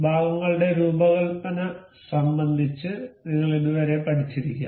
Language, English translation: Malayalam, You may have learned up till now regarding designing of the parts